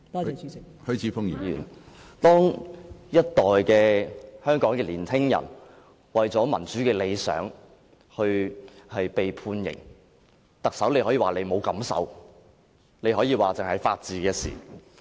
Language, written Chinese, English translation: Cantonese, 當一代香港年輕人為了民主的理想而被判刑，特首可以說自己沒有感受，她可以說這只是法治的事情。, Young people in Hong Kong are sentenced for pursuing their democratic ideal . But the Chief Executive simply says that she has no feelings about this at all . She simply says that this is just about the rule of law